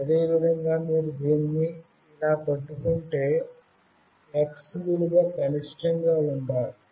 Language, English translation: Telugu, Similarly if you hold it like this, value of X should be minimum